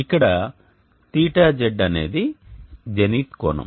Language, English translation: Telugu, z is the zenith angle